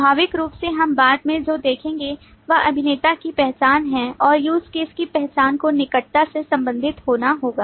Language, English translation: Hindi, Naturally, what we will see subsequently is the identification of actor and the identification of use case will have to be closely related